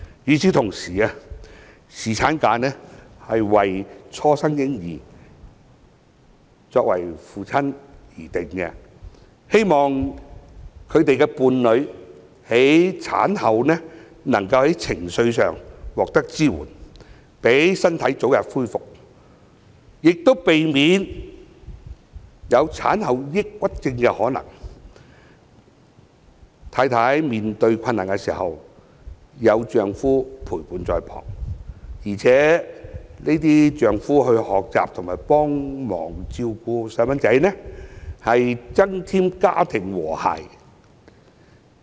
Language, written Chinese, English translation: Cantonese, 與此同時，侍產假是為初生嬰兒的父親而制訂的，希望他們的伴侶在產後能夠在情緒上獲得支援，讓身體早日恢復，亦避免有產後抑鬱症的可能，妻子面對困難時有丈夫陪伴在旁，而且丈夫可以學習和幫忙照顧嬰兒，是能增添家庭和諧。, Moreover paternity leave is intended for fathers of newborn babies in order that they can give emotional support to their partners and help them to recover early after giving birth and guard against the possibility of having postnatal depression . Paternity leave can enable husbands to accompany their wives in their difficult times while learning how and helping to take care of the newborn babies . This will enhance the harmony of the family